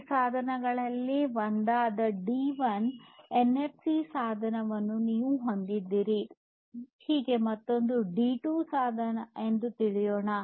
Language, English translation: Kannada, Let us say that you have in one of these devices D1 NFC device, you have another device D2